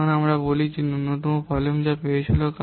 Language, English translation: Bengali, Now let's see potential minimum volume